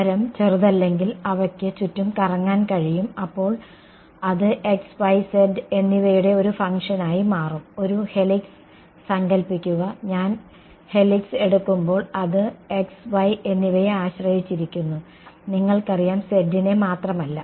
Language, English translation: Malayalam, If the radius is not small then they could small around, then they it will become a function of x and y and z right, imagine a helix right where I am on the helix also depends on x and y you know not just purely z